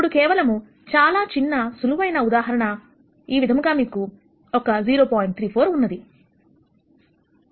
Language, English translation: Telugu, Now, just as a very, very simple example, if you have a 0